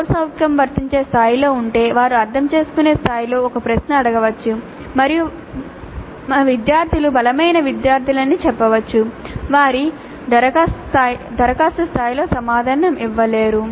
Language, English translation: Telugu, If the CO is at apply level, they may ask a question at understand level and say that our students are weaker students so they will not be able to answer at the apply level